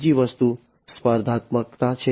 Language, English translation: Gujarati, Second thing is competitiveness